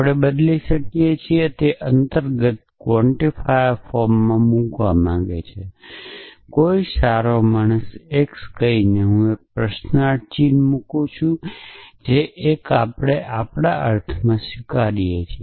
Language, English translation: Gujarati, So, we can replace at he want to put at in implicit quantifier form by saying naught divine x I putting a question mark that is a cementation we are adopting between our sense